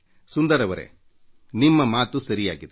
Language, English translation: Kannada, Sunder Ji, what you say is absolutely correct